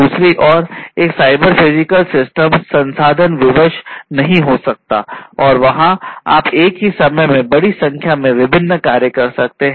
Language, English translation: Hindi, On the other hand, a cyber physical system may not be resource constrained and there you know you can perform large number of different tasks at the same time